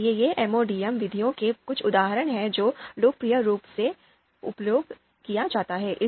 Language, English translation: Hindi, So these are some of the examples of MODM methods that are popularly used